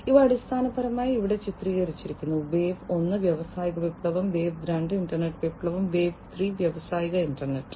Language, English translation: Malayalam, So, the so these are basically pictorially shown over here, wave one was the industrial revolution, wave two is the internet revolution, and wave three is the industrial internet